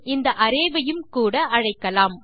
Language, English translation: Tamil, And well call this array as well